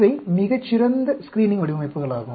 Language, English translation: Tamil, These are also very good screening designs